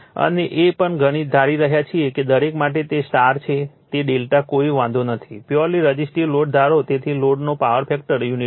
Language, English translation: Gujarati, And we are also we are assuming it is a for each whether it is a star or delta does not matter, we assume a pure resistive load, so power factor of the load is unity right